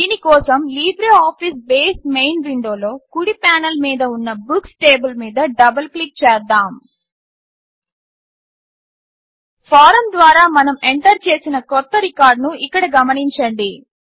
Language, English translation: Telugu, For this, in the LibreOffice Base main window, let us double click on Books table on the right panel Notice the new record that we entered through the form here